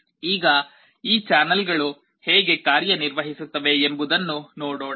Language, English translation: Kannada, Now, let us see how this channels work